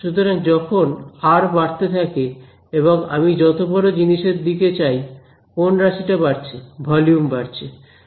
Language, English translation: Bengali, So as r increases, as I go to a larger and larger object which number is becoming larger volume is growing larger